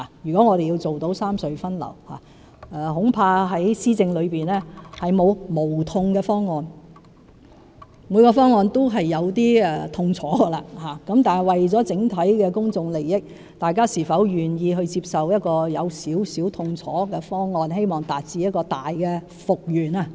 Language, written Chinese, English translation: Cantonese, 如果我們要達到三隧分流，恐怕在施政上並沒有無痛方案，每個方案也有一些痛楚，但為了整體公眾利益，大家是否願意接受有點痛楚的方案，以期達致更大的復原。, If we have to achieve redistribution of traffic among the three tunnels I am afraid there is no painless proposal in administration as every proposal will cause some pain . Yet for the overall interest of the public would Members be willing to accept a slightly painful proposal with a view to attaining restoration on a larger scale